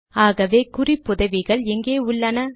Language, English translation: Tamil, So where are the references